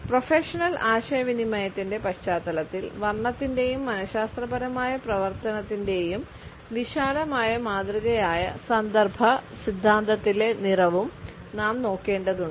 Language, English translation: Malayalam, In the context of professional communication, we also have to look at the color in context theory which is a broad model of color and psychological functioning